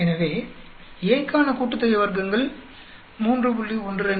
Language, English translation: Tamil, So sum of squares for A is 3